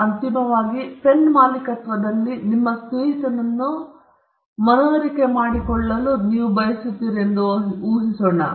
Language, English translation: Kannada, Now, eventually, let us assume that you convince your friend on the ownership of your pen